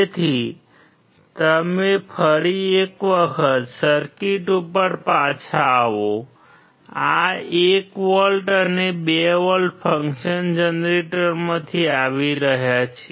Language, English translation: Gujarati, So, you come back to the circuit once again This 1 volt and 2 volt is coming from function generator